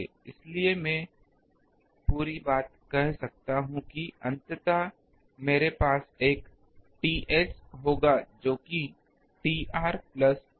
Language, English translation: Hindi, So, I can say that the whole thing ultimately we will have a T s, which is T r plus T a